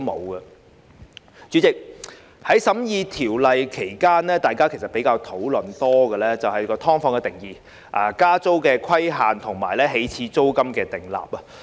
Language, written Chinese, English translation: Cantonese, 代理主席，在審議《條例草案》期間，委員比較多討論"劏房"的定義、加租規限及起始租金的問題。, Deputy President during the scrutiny of the Bill members discussed more about the definition of SDUs the cap on rent increase and the initial rent